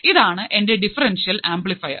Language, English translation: Malayalam, And this will be my differential amplifier